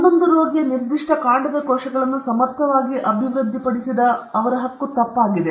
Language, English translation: Kannada, His claim to have efficiently developed eleven patient specific stem cell lines was false